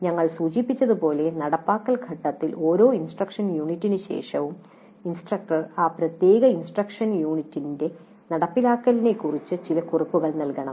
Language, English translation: Malayalam, As we noted during implementation phase, after every instructional unit the instructor must make some notes regarding that particular instruction units implementation